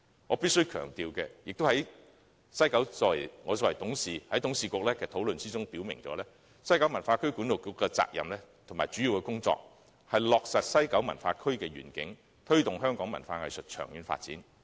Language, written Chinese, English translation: Cantonese, 我必須強調，我作為西九管理局的董事，我在董事局的討論中表明，西九管理局的責任和主要工作是落實西九文化區的願景，推動香港文化藝術的長遠發展。, I must emphasize that as a director of WKCDA I made it clear in a discussion held by the Board that the responsibility and major work of WKCDA was to turn the visions of WKCD into reality and promote the long - term arts and cultural development in Hong Kong